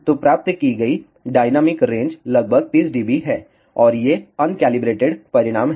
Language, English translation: Hindi, So, the dynamic range that is achieved is around 30 dB and these are un calibrated results